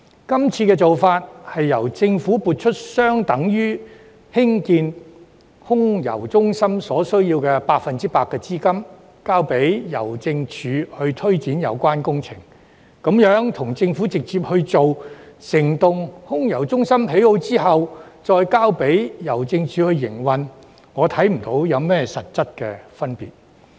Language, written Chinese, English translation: Cantonese, 今次的做法，是由政府撥出相等於興建空郵中心所需要的 100% 資金，交由郵政署推展有關工程，這樣跟政府直接興建整幢空郵中心、再交由郵政署營運，我看不到有何實質分別。, This time the Government will inject a funding that equals 100 % of the costs for building AMC for Hongkong Post to take forward the construction work . I do not see any difference if the Government builds AMC itself and then hand it over to Hongkong Post for its future operation